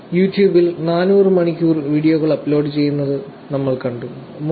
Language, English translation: Malayalam, We saw 400 hours of videos uploaded on YouTube, and 3